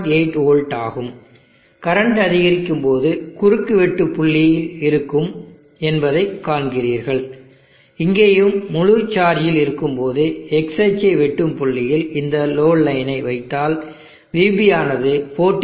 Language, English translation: Tamil, 8 v as the current increases you will see the intersection point will be there and here also if you put the load line this point where intersect the x axis will be VB 14